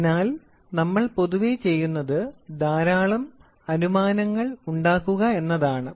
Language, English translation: Malayalam, So, what we generally do is we make lot of assumptions